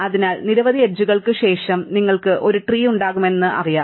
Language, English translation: Malayalam, So, we know that after that many edges, you will have a tree